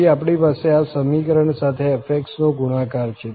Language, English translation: Gujarati, Well and then we have the product of f x with this summation